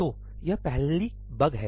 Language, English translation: Hindi, So, that is the first bug